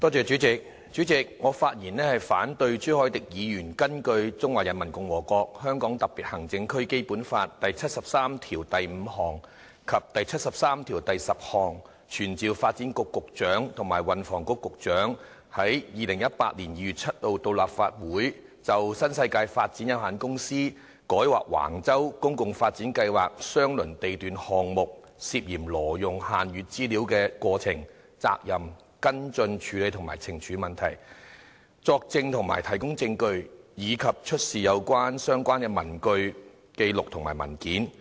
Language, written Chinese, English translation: Cantonese, 主席，我發言反對朱凱廸議員根據《中華人民共和國香港特別行政區基本法》第七十三條第五項及第七十三條第十項，傳召發展局局長及運輸及房屋局局長於2018年2月7日到立法會席前，就新世界發展有限公司於改劃橫洲公共房屋發展計劃相鄰地段項目時，涉嫌挪用限閱資料之過程、責任、跟進處理及懲處事宜，作證及提供證據，以及出示所有相關的文據、紀錄或文件。, President I rise to speak in opposition to Mr CHU Hoi - dicks motion proposed pursuant to Articles 735 and 7310 of the Basic Law of the Hong Kong Special Administrative Region of the Peoples Republic of China that this Council summons the Secretary for Development and the Secretary for Transport and Housing to attend before the Council on 7 February 2018 to testify or give evidence and to produce all relevant papers books records or documents in relation to the happenings culpability follow - up actions and punitive matters pertaining to the alleged illegal use of restricted information by New World Development Company Limited NWD during its application for rezoning a land lot near the site of the Public Housing Development Plan at Wang Chau